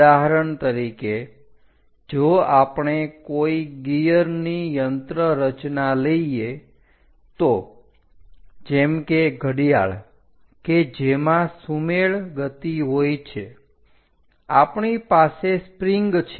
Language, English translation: Gujarati, For example, if we are taking any gear mechanisms like watch to have the synchronization motion, we have a spring